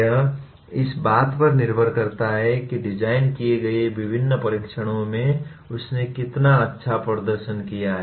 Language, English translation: Hindi, It depends on how well he has performed in various tests that have been designed